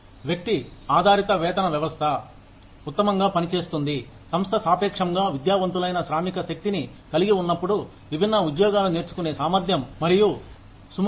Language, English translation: Telugu, Individual based pay system, works best, when the firm has a relatively educated workforce, with both the ability and willingness, to learn different jobs